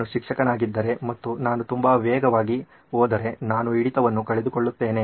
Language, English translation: Kannada, If I go fast, if I am the teacher and I go very fast I sort of miss out on the retention